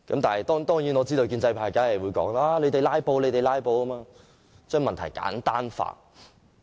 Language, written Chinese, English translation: Cantonese, 當然，我知道建制派一定指責我們"拉布"，藉此將問題簡單化。, Of course I know the pro - establishment camp will simplify the issue by accusing us of filibustering